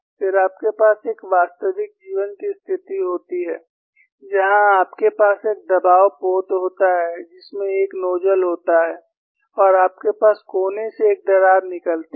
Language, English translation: Hindi, Then, you have a real life situation, where you have a pressure vessel, which has a nozzle and you have a crack coming out from the corner; it is a corner crack